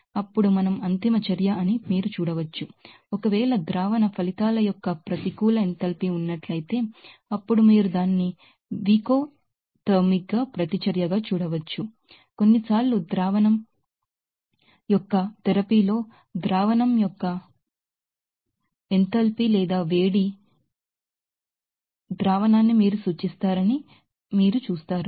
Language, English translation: Telugu, Then you can see that we are endothermic reaction, if there is a negative enthalpy of solution results, then you can see that could be exothermic reaction, sometimes you will see that in therapy of solution is, you know referred to the enthalpy of the solution or heat up solution